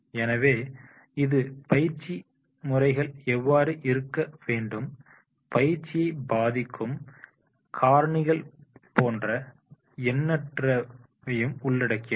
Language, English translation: Tamil, So, this is all about that is the how the training methods are to be the factors which affect the exercising of the training methods